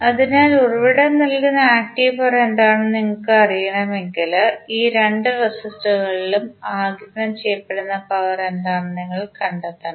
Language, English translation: Malayalam, So, if you want to know that what the power active power being delivered by the source you have to simply find out what the power being absorbed by these two resistances